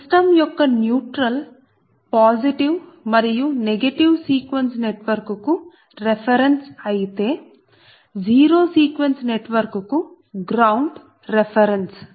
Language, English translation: Telugu, that means that neutral of the system is the reference for positive and negative sequence network, but ground is the reference for the zero sequence network